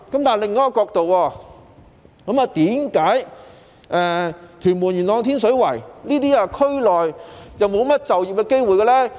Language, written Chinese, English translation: Cantonese, 從另一個角度來看，為何屯門、元朗及天水圍區內沒甚麼就業機會呢？, Let us look at the problem from another angle . Why are there not many employment opportunities in Tuen Mun Yuen Long and Tin Shui Wai?